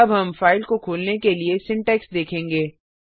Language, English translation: Hindi, Now we will see the syntax to open a file